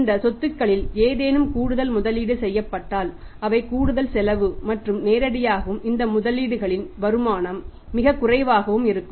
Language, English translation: Tamil, And if any extra investment is made into these assets that will directly and off with paying extra cost and the return on these investments between very, very low